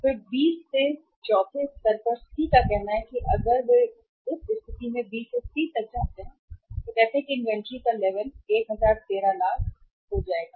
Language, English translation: Hindi, And then from the at the fourth level from the B to C say if they go from B to C in that case say uh inventory level will go up to 1013 lakhs